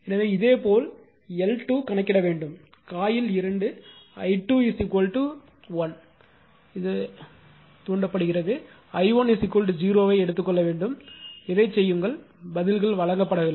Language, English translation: Tamil, So, similarly you should compute this one L 2 M 1 2 by exciting coil 2 i 2 is equal to 1 ampere and take i 1 is equal to 0, this you please do it of your own right, answers are not given